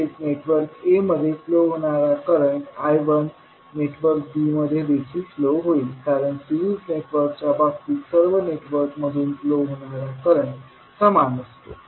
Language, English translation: Marathi, Also, the current I 1 which is flowing in the network a will also flow in network b because in case of series network the current flowing through all the networks will remain same